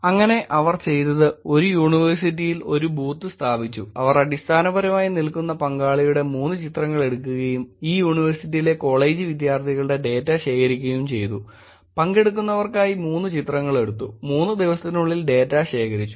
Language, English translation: Malayalam, So, what they did was they actually put a booth in the university, took 3 pictures of the participant, they basically were standing and collecting data of the college students in this university took 3 pictures for participant, collected data over 3 days